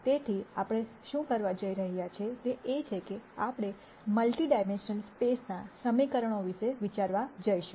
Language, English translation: Gujarati, So, what we are going to do is we are going to think about the equations in multi dimensional space